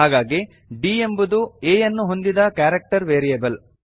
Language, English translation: Kannada, And here we have declared d as a character variable